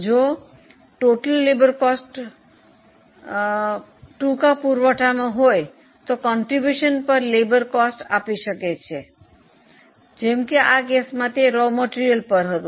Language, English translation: Gujarati, If total labour cost is in short supply, it can be contribution per labour cost, like in this case it was on raw material